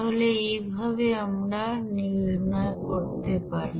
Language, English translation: Bengali, So in this way we can calculate